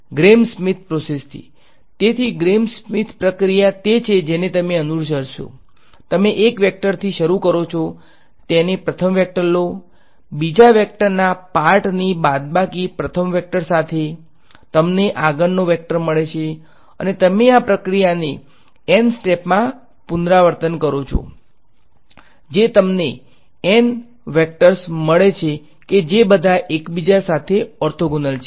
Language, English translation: Gujarati, Gram Schmidt process right; so, Gram Schmidt process is what you would follow, you take one vector start keep that the first vector, subtract of the part of the second vector along the first vector you get the next vector and you repeat this process in N steps you get N vectors that are all orthogonal to each other right